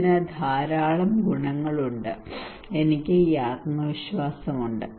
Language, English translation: Malayalam, It has lot of merit, and I have this confidence